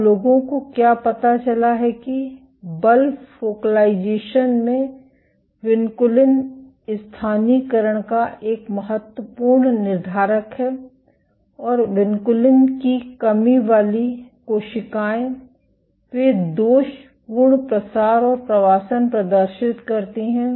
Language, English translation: Hindi, Now what people have found that force is an important determiner of vinculin localization at focalizations, and vinculin deficient cells, they display faulty spreading and migration